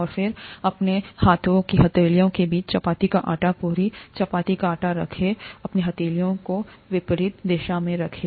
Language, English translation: Hindi, And place the chapati dough, puri chapati dough, in between the palms of your hands, place your palms in opposite direction